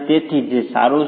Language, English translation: Gujarati, So that's fine